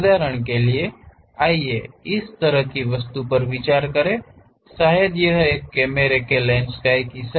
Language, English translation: Hindi, For example, let us consider this kind of object, perhaps a part of the camera lens